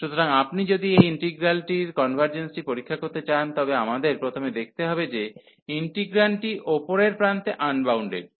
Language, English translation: Bengali, So, if you want to test the convergence of this integral, then we should not first that the integrand is unbounded at the upper end